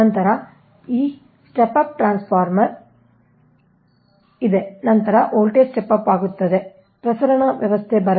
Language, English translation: Kannada, then after this step up, step up transformer is there, then voltage will be stepped